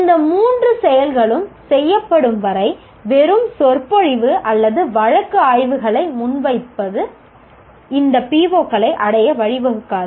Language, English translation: Tamil, Until all these three activities are done, mere lecturing or presenting case studies does not lead to attainment of these POs